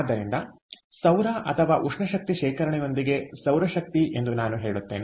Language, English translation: Kannada, so solar, or rather i would say solar power, with thermal energy storage